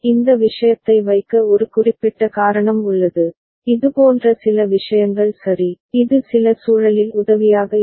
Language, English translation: Tamil, There is a specific reason to put this thing, some such thing ok, which is helpful in certain context